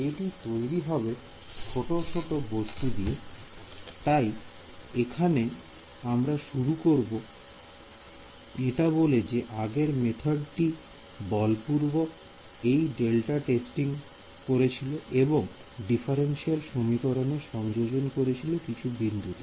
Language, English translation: Bengali, Will be composed of little little such things ok; so now, we started we by saying that the earlier method was enforcing this delta testing it was enforcing the differential equation at a few discrete points